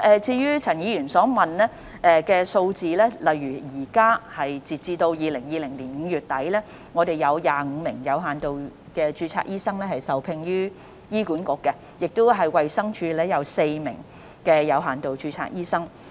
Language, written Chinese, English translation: Cantonese, 就陳議員所詢問的數字，截至2020年5月底，有25名有限度註冊醫生受聘於醫管局，衞生署則有4名有限度註冊醫生。, Regarding the figures that Dr CHAN asked for 25 doctors with limited registration are employed by HA and four by DH as at the end of May 2020